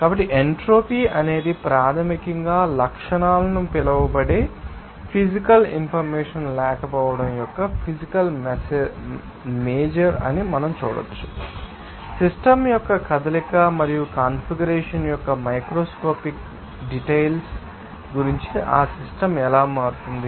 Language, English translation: Telugu, So, we can see that entropy is basically a physical measure of the lack of physical information that is called characteristics, how that system will change about the microscopic details of the motion and configuration of the system